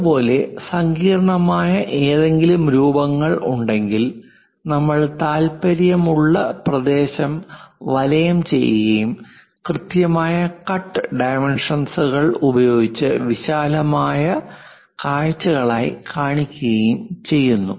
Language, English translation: Malayalam, Similarly, if there are any intricate shapes we encircle the area of interest and then show it as enlarged views with clear cut dimensions